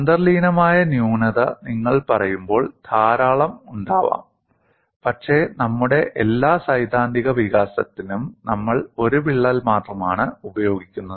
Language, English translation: Malayalam, When you say inherent flaw, there may be many, but for all our theoretical development, we just use only one crack